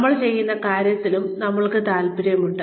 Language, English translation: Malayalam, We are also interested in, what we are doing